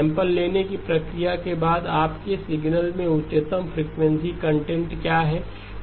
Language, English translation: Hindi, After the process of sampling, what is the highest frequency content in your signal